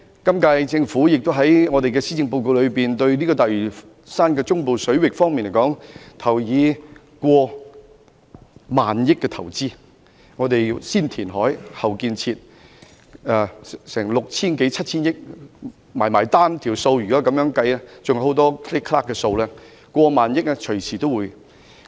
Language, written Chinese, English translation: Cantonese, 今屆政府在施政報告中提出在大嶼山中部水域作過萬億元的投資，會先填海，後建設，涉及的款額接近 6,000 億元至 7,000 億元；再加上其他開支，最終的開支將會超過1萬億元。, In the Policy Address the current - term Government proposes to invest more than 1 trillion in the Central Waters of Lantau Island . After reclamation of land construction works will commence and the expenditure incurred is nearly 600 billion to 700 billion . Coupled with other expenditures the final expenditure will exceed 1 trillion